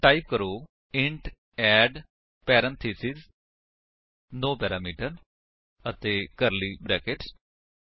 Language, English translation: Punjabi, So, type: int add parentheses no parameter and curly brackets